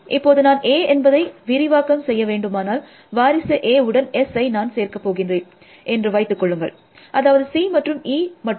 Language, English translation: Tamil, Then if I about to expand A, then I could the let us assume that we are not going to add S to successors of A, only C and E